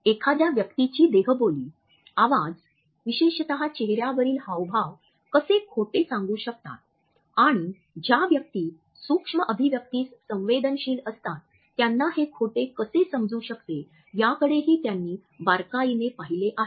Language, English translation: Marathi, He has also looked closely as how an individual's body language, voice, facial expressions in particular can give away a lie and people who are sensitive to the micro expressions can understand these lies